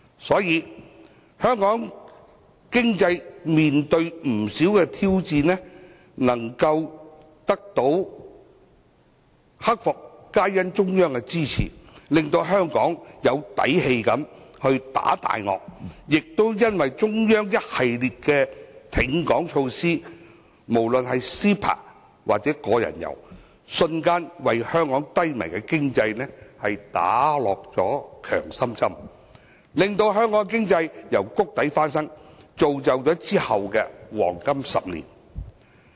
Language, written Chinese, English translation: Cantonese, 所以，香港在經濟面對挑戰時能夠一一克服，因為中央的支持，令香港能夠有底氣地打大鱷，也因為中央的一系列挺港措施，包括 CEPA 及個人遊，瞬間為香港低迷的經濟打下強心針，令香港經濟從谷底翻身，並造就其後的黃金10年。, Under the support of the Central Authorities Hong Kong boldly drove away financial predators . Owing to a series of measures taken by the Central Authorities to support Hong Kong including CEPA and the Individual Visit Scheme IVS our depressed economy was instantly revitalized and bounced out of the bottom laying a foundation for the subsequent golden decade